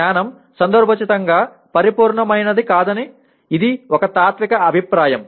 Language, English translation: Telugu, This is also a philosophical view that knowledge is contextualized not absolute, okay